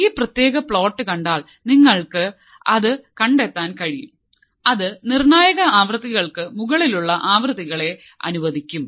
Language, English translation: Malayalam, So, if you see this particular plot what we find is that it will allow or it will allow frequencies which are above critical frequencies